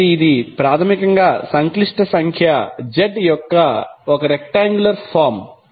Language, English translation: Telugu, So, this is basically the rectangular form of the complex number z